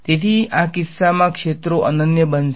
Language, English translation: Gujarati, So, in this case the fields are going to be unique